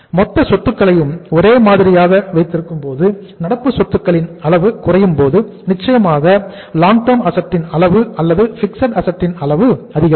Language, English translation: Tamil, Keeping the total assets same when the level of current assets will go down certainly the level of long term asset or the fixed assets will go up